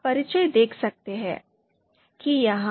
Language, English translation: Hindi, So you can see here